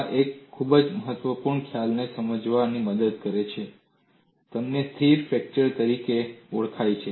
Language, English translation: Gujarati, This has helped in understanding a very important concept that you could have what is known as stable fracture